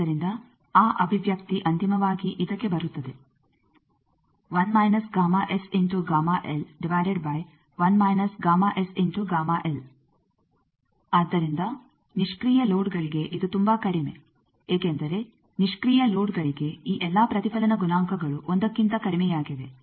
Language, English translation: Kannada, So, this is much, much less for passive loads, because for passive loads all these reflection coefficients they are less than 1